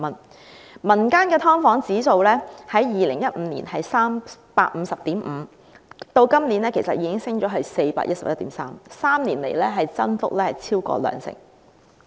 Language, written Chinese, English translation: Cantonese, 至於民間機構公布的"劏房"租金綜合指數，在2015年是 350.5， 今年已經升到 411.3， 在3年間增幅超過兩成。, The comprehensive rental index for subdivided units released by a community organization was 350.5 in 2015 which jumped to 411.3 this year having increased by over 20 % in three years